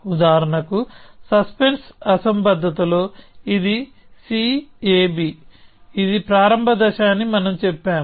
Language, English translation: Telugu, For example, in the suspense anomaly, we said this is C A B; this is the start stage